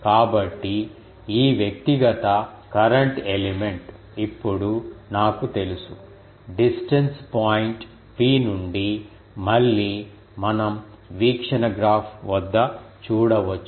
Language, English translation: Telugu, So, this individual current element, now I know the result that at a distance point P to again we can see at the view graph that oh sorry